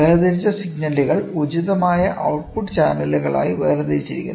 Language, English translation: Malayalam, The segregated signal, the separated signals are distinguished to appropriate output channels